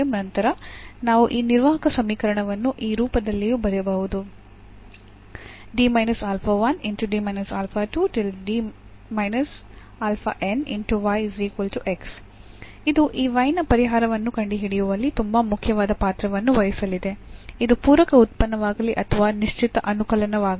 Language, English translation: Kannada, So, we can then write down this operator equation in this form also which is going to play a very important role in finding out the solution this y whether it is a complimentary function or a particular integral